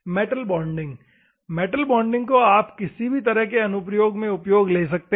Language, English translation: Hindi, Metal bonding: normally metal bonding you can use for any type of things